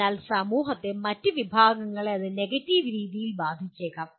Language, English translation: Malayalam, But other segment of the society may get affected by that in a negative way